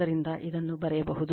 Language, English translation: Kannada, So, this we can write